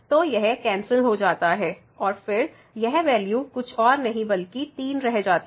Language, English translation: Hindi, So, this gets cancelled and then this value here is nothing, but 3